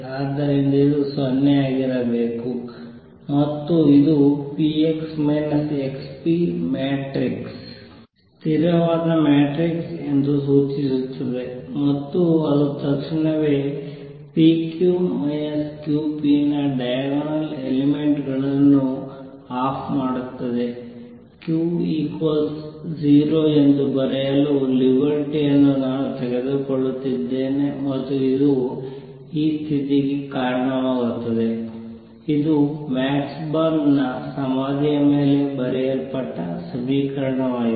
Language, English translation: Kannada, So therefore, this must be 0 and this implies p x minus x p matrix is a constant matrix and that immediately gives me that off diagonal elements of p q minus q p; I am taking the liberty of writing q are 0 and this leads to this condition this is the equation that is written on Max Born’s tombstone